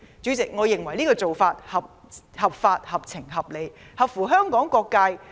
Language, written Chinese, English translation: Cantonese, 主席，我認為這做法合法、合情、合理，合乎香港利益和各界人士的意願。, President I think this approach is lawful sensible and reasonable; it is in the interests of Hong Kong and complies with the aspiration of people from various sectors